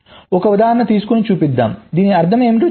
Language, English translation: Telugu, lets take an example and show, lets say what this means